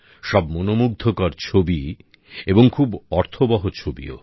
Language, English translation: Bengali, Pictures were very attractive and very meaningful